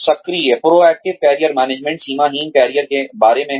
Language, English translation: Hindi, Proactive Career Management is about boundaryless careers